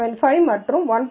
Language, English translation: Tamil, 075 and 1